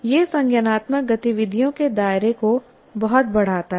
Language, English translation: Hindi, It greatly enlarges the scope of cognitive activities